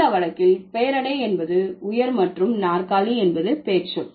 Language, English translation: Tamil, So, in this case, there would be the adjective is high and a chair is noun